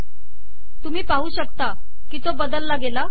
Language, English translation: Marathi, You can see that it has changed